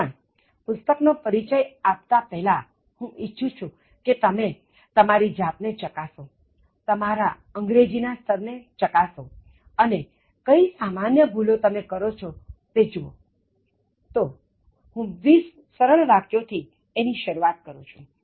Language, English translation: Gujarati, But, before I introduce the book, I just want you to test yourself and see what is the level of your English what kind of common errors that you are being committing, so I am just going to start with twenty simple sentences